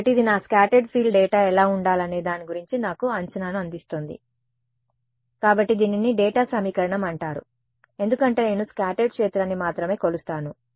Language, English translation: Telugu, So, this is called the data equation because it is giving me a prediction of what my scattered field data should be; because that is what I measure I only measure scattered field